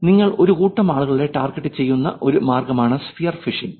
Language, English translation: Malayalam, Sphere phishing is a way by which you target a set of people